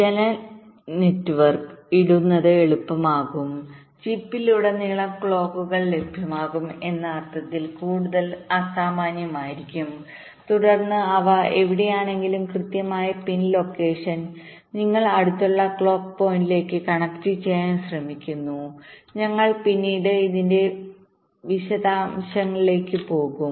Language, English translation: Malayalam, it will be more generic in the sense that clocks will be available almost all throughout the chip and then the exact pin location, wherever they are, you try to connect to the nearest clock point, something like that